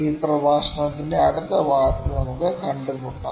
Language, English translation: Malayalam, So, let us meet in the next part of this lecture